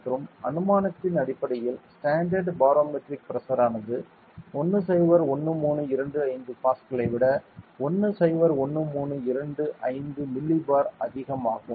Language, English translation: Tamil, And based on the assumption that standard barometric pressure is 101325 millibar over 101325 Pascal